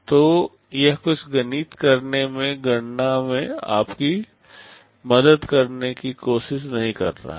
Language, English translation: Hindi, So, it is not trying to help you in calculation in doing some maths, and so on